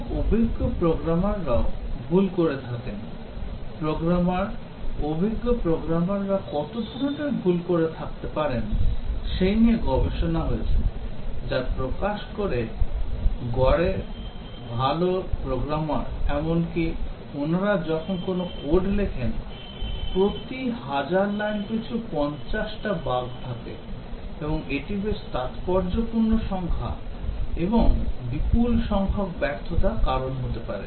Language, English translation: Bengali, Very experienced programmers they also commit errors, research conducted to find out how many errors are committed by programmers, experienced programmers, reveals that on the average very fine programmers, even when they write code there are 50 bugs per 1000 lines of code and that is quite a significant number and can cause large numbers of failures